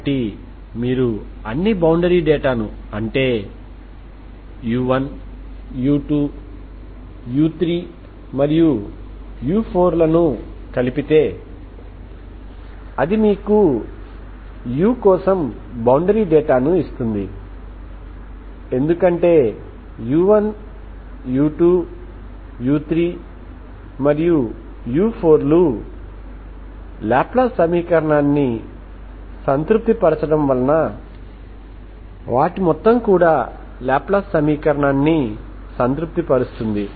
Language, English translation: Telugu, So that, so the boundary is now for u, the boundary is as it is but if you combine all the data boundary data for u1 u2 u3 u4 will give you the boundary data for u and since u1 u2 u3 u4 are satisfying laplace equation sum is also satisfying laplace that means you got this back u3, okay